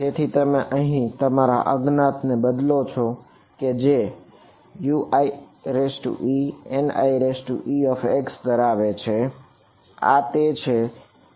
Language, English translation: Gujarati, So, you are substituting this your unknown over here which consists of U i e N i e x this is what is being substituted for U